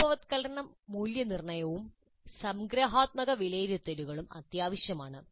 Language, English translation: Malayalam, Formative assessment as well as summative assessment and evaluations are essential